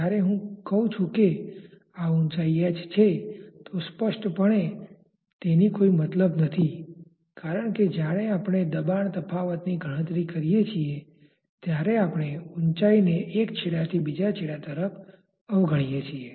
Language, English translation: Gujarati, When I say that this height is h obviously, it has no sanctity because we are disregarding the variation in height from one end to the other when we calculate the pressure difference